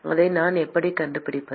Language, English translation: Tamil, how do we find that